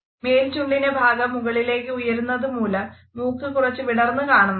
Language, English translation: Malayalam, The upper part of the lip will be pulled up, which basically causes your nose to flare out a little bit